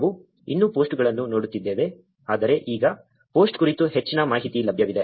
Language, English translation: Kannada, We are still looking at the posts, but now there is much more information about the post available